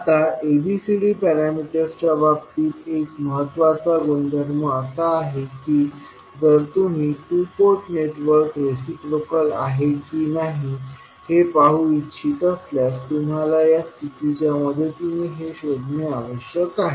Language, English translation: Marathi, Now, one of the important properties in case of ABCD parameters is that if you want to see whether the particular two port network is reciprocal or not, you need to find out with the help of this condition